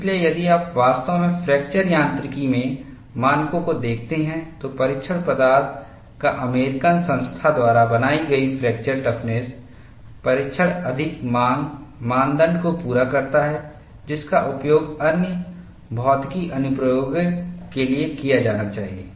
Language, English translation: Hindi, So, if you really look at the standards in fracture mechanics, the fracture toughness testing generated by American Society of Testing Materials does meet the more demanding criterion, that the parameter should be used for other physics applications